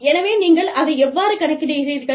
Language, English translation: Tamil, So, how do you, account for that